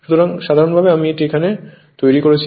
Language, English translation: Bengali, So, in general, it will be I am making it here for you